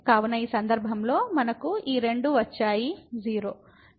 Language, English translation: Telugu, So, in this case we got this 0 both are 0